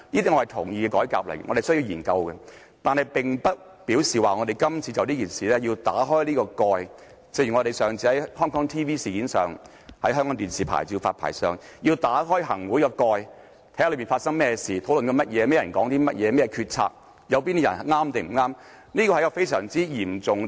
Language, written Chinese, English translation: Cantonese, 但是，這並不表示我們要就今次這件事打開這個蓋。正如我們上次在港視牌照事件上，要打開行會的蓋，看看當中發生甚麼事、正在討論甚麼、甚麼人說了甚麼話、有甚麼決策、哪些人對、哪些人錯，這是非常嚴重的。, This however does not mean that we have to open the cover of this incident as we did last time in the HKTV incident as we wanted to open the cover of the Executive Council in order to find out what had happened what was being discussed who had made any comments what decisions had been made who were right and who were wrong